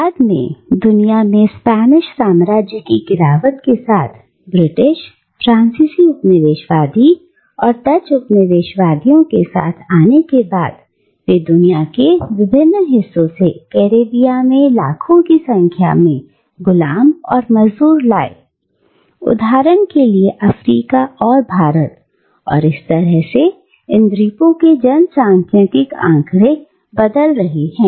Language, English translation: Hindi, And later, when the decline of the Spanish empire in this part of the World was followed by the coming in of the British, and the French Colonisers, and the Dutch colonisers, they brought to the Caribbean millions and millions of slaves and indentured labourers, from distant parts of the world, like Africa for instance, or India, and thereby changing the entire demographic profile of these islands